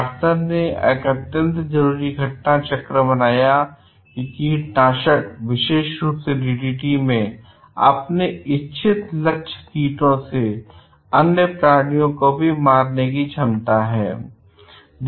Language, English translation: Hindi, Carson made a compelling case that pesticides, in particular DDT, were killing creatures beyond their intended target insects